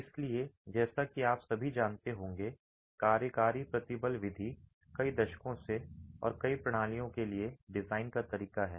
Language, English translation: Hindi, So, as all of you would be aware, working stress method has been the method of design for several decades and for several systems